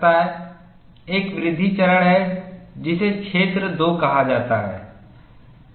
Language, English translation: Hindi, There is a growth phase which is called the region 2